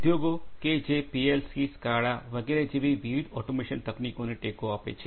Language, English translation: Gujarati, Industries which support different automation technologies such as PLCs, SCADAs etc